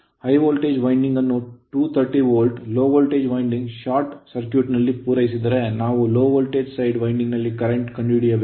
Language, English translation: Kannada, And if the high voltage winding is supplied at 230 volt with low voltage winding short circuited find the current in the low voltage winding